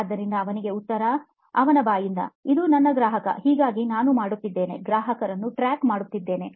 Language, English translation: Kannada, So the answer from him, his own mouth: this is my customer, so I am doing, tracking the customer